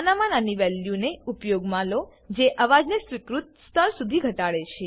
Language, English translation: Gujarati, Use the lowest value that reduces the noise to an acceptable level